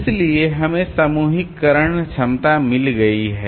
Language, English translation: Hindi, So, we have got the grouping capability